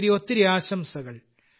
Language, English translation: Malayalam, Many best wishes